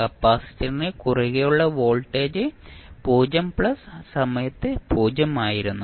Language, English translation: Malayalam, The voltage across the capacitor was 0 at time 0 plus